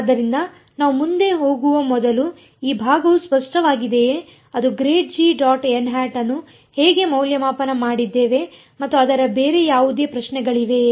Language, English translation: Kannada, So, before we go any further any is this part clear how we evaluated grad g dot n hat or any other questions on it